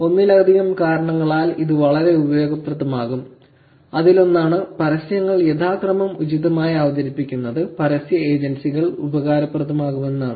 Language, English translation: Malayalam, It can be actually very useful for multiple reasons, one it could be useful for advertising agencies to actually present the ads appropriately